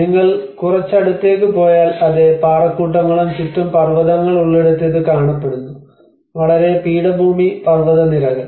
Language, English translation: Malayalam, If you go little closer, the same cliffs, it looks like this where there is mountains around it, a very plateau sort of mountains